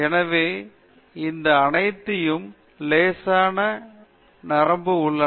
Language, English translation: Tamil, So, these are all in lighter vein